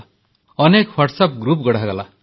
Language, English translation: Odia, Many WhatsApp groups were formed